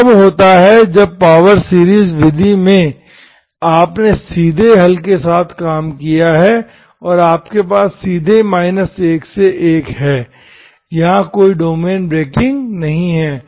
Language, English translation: Hindi, That is when the power series method, you worked with the solution directly, you directly have minus1 to1, there is no domain breaking here